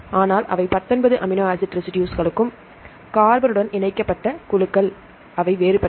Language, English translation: Tamil, But all the nineteen amino acid residues they are the groups attached with the carbon are different